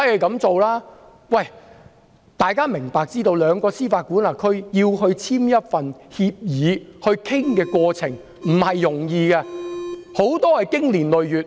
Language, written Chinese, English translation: Cantonese, 大家要知道，兩個司法管轄區要簽署一份協議，討論過程並不容易，很多情況下需要經年累月。, But we need to know that when two jurisdictions are to enter into an agreement the process of negotiation will not be easy and will often last years